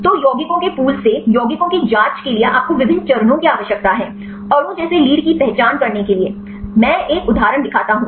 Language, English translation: Hindi, So, there is various steps you need to do for screening the compounds from the pool of compounds; to identify a lead like molecule; I show one example